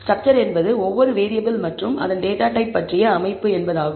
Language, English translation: Tamil, By structure I mean that each variable and it is data type